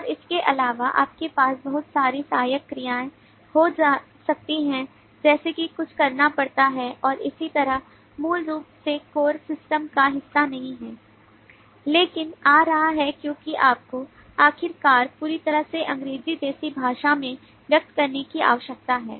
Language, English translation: Hindi, and besides that you may have a lot of auxiliary actions like is something has to be performed and so on which are basically not part of the core system, but is coming across because you need to finally express the whole thing in a english like language